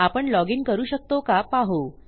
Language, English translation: Marathi, Lets see if I can login